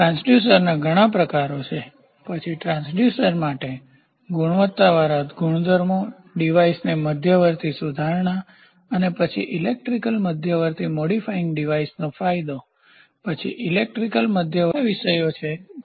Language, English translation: Gujarati, There are several types of transducers, then quality attributes for transducers, intermediate modifying the devices and then advantage of electrical intermediate modifying devices, then electrical intermediate modifying devices and terminating devices